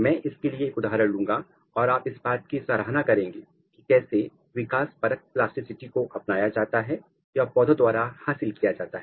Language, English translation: Hindi, I will take couple of example for it and you will appreciate how developmental plasticity is adopted or it is acquired by the plants